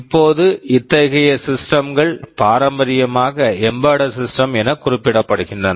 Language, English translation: Tamil, Now, such systems are traditionally referred to as embedded systems